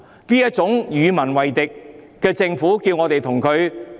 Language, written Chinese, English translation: Cantonese, 面對這種與民為敵的政府，要我們怎樣？, What should we do in the face of a government that makes itself an enemy of the people?